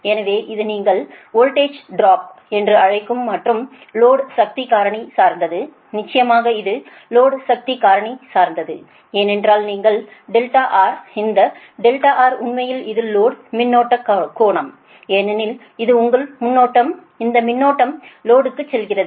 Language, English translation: Tamil, so this is basically your, what you call, that is line voltage drop and it depends on the low power factor, right, of course, of course it depends on the low power factor because you have to this thing what you call because delta r, this delta r, actually it is low current angle, because this is your, this is the current i, this is basically current, is going to the load, right